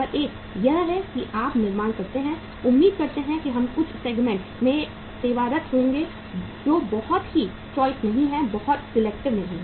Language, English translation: Hindi, Number one is that you manufacture, expect that we will be serving some segment which is not very choosy, not very selective